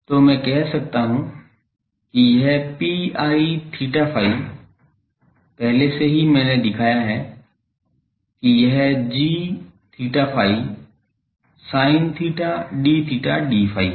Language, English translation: Hindi, So, I can say that this P i theta phi already I have shown that it is g theta phi sin theta d theta d phi